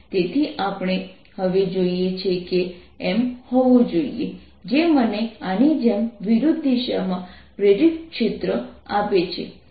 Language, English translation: Gujarati, so what we want now, that i should have an m that gives me an induced field in the opposite direction, like this